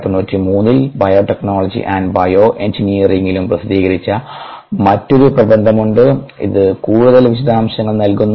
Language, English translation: Malayalam, and then there is on other paper that was published in biotechnology and bioengineering in nineteen ninety three, which gives some of details